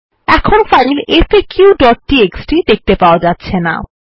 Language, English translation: Bengali, We can no longer see the file faq.txt